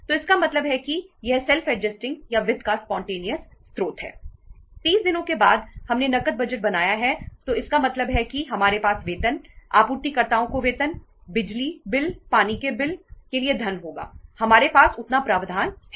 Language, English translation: Hindi, After 30 days we have made cash budgets so it means weíll have the funds for paying the wages, salaries to the suppliers, power bills, water bills, we have that much of the provisions